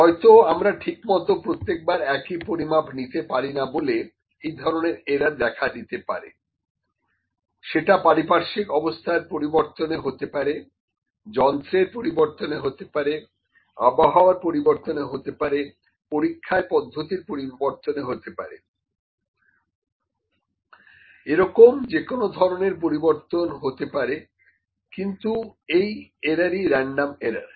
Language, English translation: Bengali, Perhaps due to inability to perform measurements in exactly the same way every time this error might be due to the change in environment, due to the change in instrument, due to the change in the condition due to climatic condition, due to the change in an experiment, there might be any change, but the thing is that the error is random, it is scattered